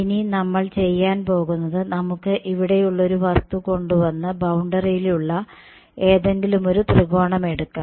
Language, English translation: Malayalam, So, now what we are going to do is we let us take a object is over here let us take my one triangle on the boundary ok